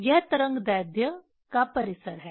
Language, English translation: Hindi, There are range of this wavelength